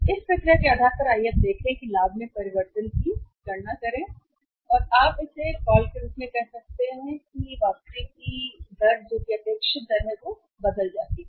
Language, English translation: Hindi, On the basis of this process let us see now calculate the change in the profit or you can call it as a rate of return that is the expected rate of it turn